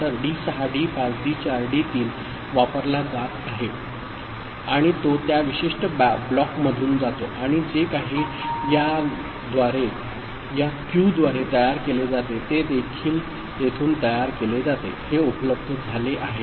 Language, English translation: Marathi, So, D6 D5 D4 D3 that is being used right and it goes through that particular block and the whatever is generated this q this output, it is also generated through here so, this is made available